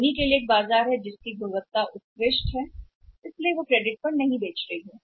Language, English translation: Hindi, Sony there is a market the quality is excellence so they are not selling on credit